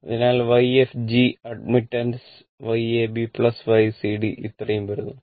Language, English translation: Malayalam, So, Y fg admittance, Y ab plus Y cd this much is coming